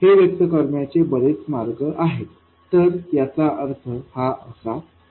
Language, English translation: Marathi, There are many ways to express this, this is what it means